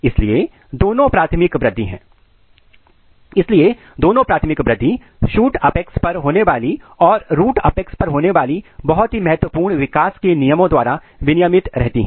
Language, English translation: Hindi, So, both the primary growth at the shoot apex as well as the root apex are regulated by very important developmental regulators